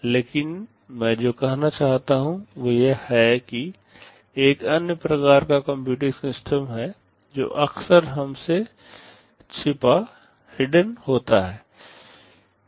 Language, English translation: Hindi, But what I want to say is that, there is another kind of computing system that is often hidden from us